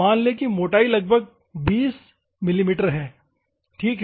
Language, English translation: Hindi, Assume that the thickness he is approximately 20 mm, ok